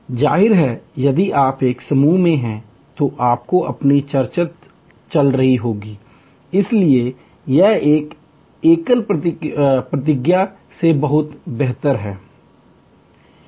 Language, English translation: Hindi, Obviously, if you are in a group, you have your own discussions going on, so it is much better than a solo wait